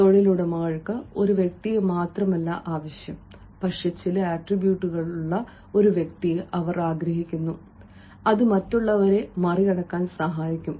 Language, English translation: Malayalam, employers do not want only a person, but they want a person with certain attributes which can make them out sign others